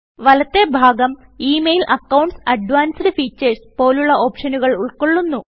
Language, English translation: Malayalam, The right panel consists of options for Email, Accounts, Advanced Features and so on